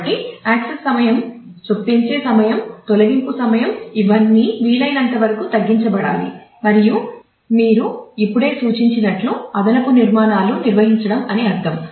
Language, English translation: Telugu, So, that the access time the insertion time the deletion time all these should get as minimized as possible and as you have just seen indexing might mean maintaining additional structures